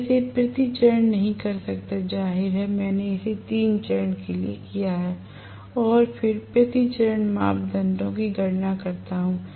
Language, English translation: Hindi, I cannot do it per phase, obviously I have done it for 3 phases and then calculate per phase parameters